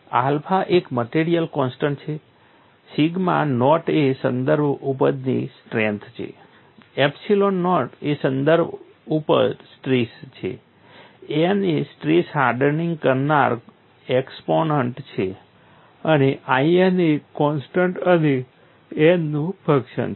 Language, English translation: Gujarati, Alpha is a material constant, sigma naught is a reference yield strength, epsilon naught is a reference yield strain, n is a strain hardening exponent and I n is the constant and function of n you know people have given expressions for this